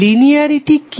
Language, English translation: Bengali, So what is linearity